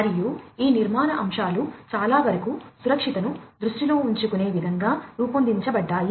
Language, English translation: Telugu, And many of these architectural elements basically have been designed in such a way that safety has been kept in mind